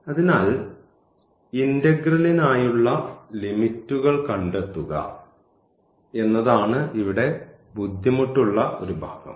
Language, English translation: Malayalam, So, the only the difficult part here is locating the limits for the integral and that we have to be careful